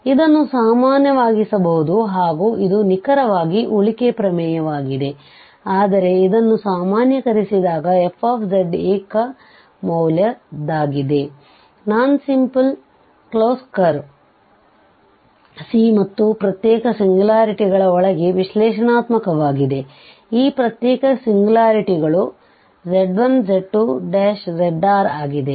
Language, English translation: Kannada, But this can be generalized, so this is exactly the residue theorem but we can generalize this that f z is single valued, analytic inside a non simple close curve C at and isolated singularities, except this isolated singularities z 1, z 2, z r